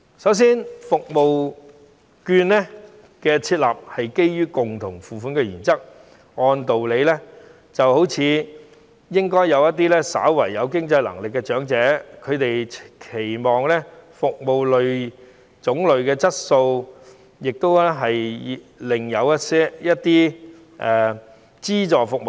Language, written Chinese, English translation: Cantonese, 首先，社區券的設立是基於共同付款原則，所以使用社區券的長者或稍有經濟能力，他們會期望服務有較好質素，以及有另一些種類的資助服務。, First of all the introduction of CCS vouchers is based on the co - payment principle . Therefore the elderly persons who use CCS vouchers may have better financial capacity and will thus expect to have better service quality and other categories of subsidized services